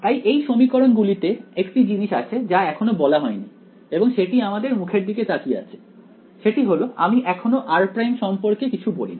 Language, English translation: Bengali, So, in these equation there is one thing that is yet not been specified and that is staring at us in the face which is I did not say anything about r prime right